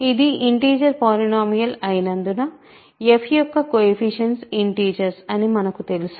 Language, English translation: Telugu, So, since it is an integer polynomial we of course, know that the coefficients are integers